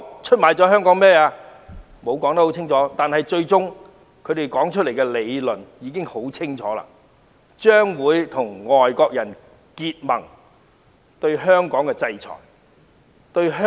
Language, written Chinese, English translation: Cantonese, 他們並無清楚交代，但他們最終提出的理論已清楚顯示他們將會與外國人結盟，制裁和打壓香港。, They did not offer a clear account . But the theory they eventually put forward has clearly shown that they will join hands with foreigners in sanctioning and suppressing Hong Kong